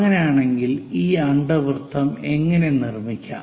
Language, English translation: Malayalam, If that is the case, how to construct an ellipse